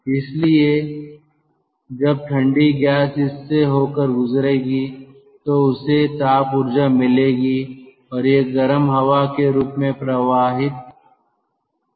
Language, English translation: Hindi, so when the cold gas will pass through this, it will get this, it will pick up thermal energy and it will come out as hot air